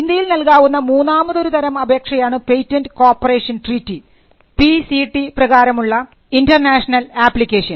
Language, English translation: Malayalam, The third type of application you can file in India is the PCT international application under the Pattern Cooperation Treaty